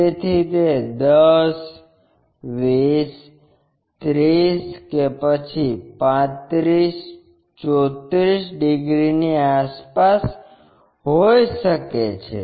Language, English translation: Gujarati, So, it is 10, 20, 30 around 35, 34 degrees